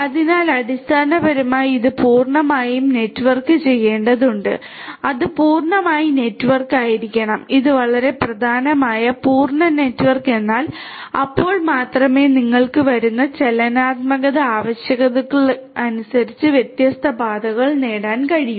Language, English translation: Malayalam, So, basically it has to be fully networked in add other words it is it has to be fully network this is very important fully network means then only you will be able to have different different paths as per the dynamic requirements that are the that come up